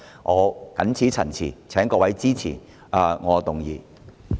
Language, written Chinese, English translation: Cantonese, 我謹此陳辭，請各位支持我提出的議案。, With such remarks I urge Members to support my motion